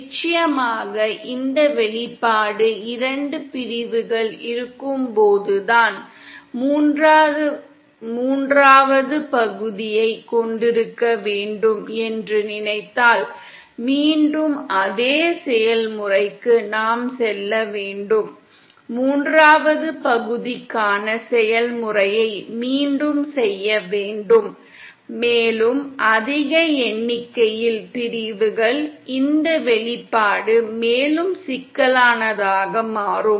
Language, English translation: Tamil, And of course this expression is only when there are 2 sections, if we suppose have a third section, then we have to again to the same process, we have to repeat the process for the third section, and the more the number of sections, this expression will become more & more complicated